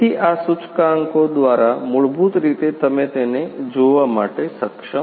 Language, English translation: Gujarati, So, through these indicators basically you are able to see